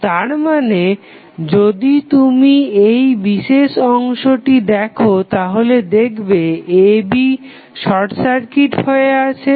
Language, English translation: Bengali, So, that means, if you see this particular segment AB short circuited